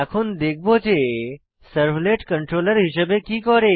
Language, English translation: Bengali, Now, we will see what the servlet does as a controller